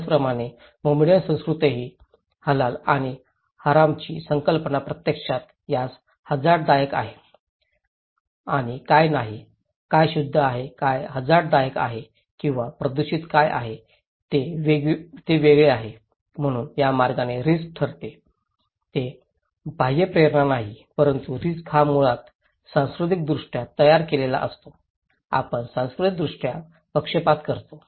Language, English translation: Marathi, Similarly, in Muslim culture also, the concept of Halal and Haram actually distinguish what is risky to it and what is not, what is pure, what is dangerous or polluted okay so, risk according to that way, itís not the external stimulus that determined but risk is basically, culturally constructed, we are culturally biased